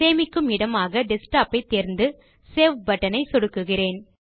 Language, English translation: Tamil, I will choose the location as Desktop and click on the Save button